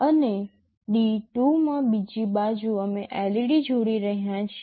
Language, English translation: Gujarati, And, on the other side in D2 we are connecting a LED